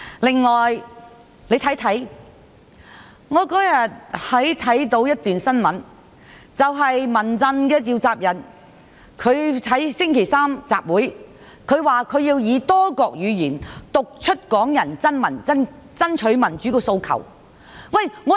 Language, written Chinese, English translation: Cantonese, 此外，我有一天看到一則新聞，指民陣召集人提出星期三舉行集會，他說要以多國語言讀出港人爭取民主的訴求。, Furthermore I learnt from the press that the convener of the Civil Human Rights Front proposed to hold an assembly on Wednesday . He said that they would read out the democratic demands of Hong Kong people in many languages